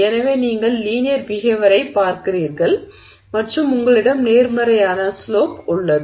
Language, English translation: Tamil, So you see linear behavior and you have a positive slope